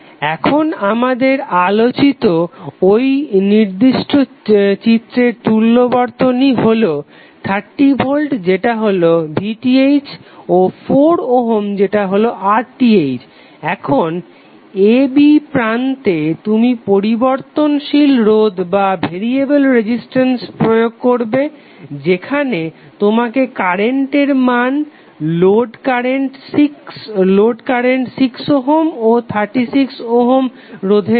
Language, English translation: Bengali, Now your equivalent circuit of the particular figure which we discussed is 30V that VTh and 4 ohm that is RTh and across the terminal a b you will apply variable resistance where you have to find out the value of current, load current for 6 ohm and 36 ohm